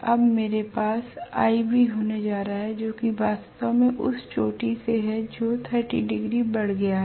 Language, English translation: Hindi, Now I am going to have ib which is actually about from the peak it has moved by about 30 degrees